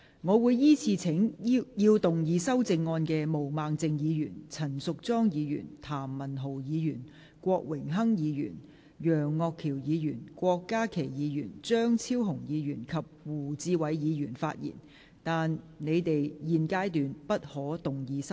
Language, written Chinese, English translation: Cantonese, 我會依次請要動議修正案的毛孟靜議員、陳淑莊議員、譚文豪議員、郭榮鏗議員、楊岳橋議員、郭家麒議員、張超雄議員及胡志偉議員發言，但他們在現階段不可動議修正案。, I will call upon Members who will move the amendments to speak in the following order Ms Claudia MO Ms Tanya CHAN Mr Jeremy TAM Mr Dennis KWOK Mr Alvin YEUNG Dr KWOK Ka - ki Dr Fernando CHEUNG and Mr WU Chi - wai but they may not move amendments at this stage